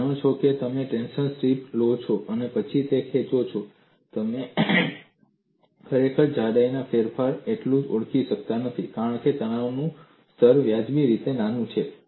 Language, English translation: Gujarati, You know, if you take a tension strip and then pull it, you would really not recognize the change in thickness that much, because the stress levels are reasonably small; the strain is going to be much smaller